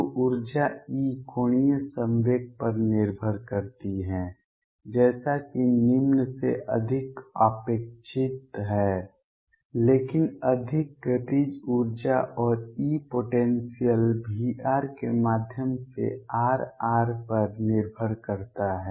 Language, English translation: Hindi, So, energy E depends on the angular momentum as is expected higher than low, but more the kinetic energy and E depends on R r through potential V r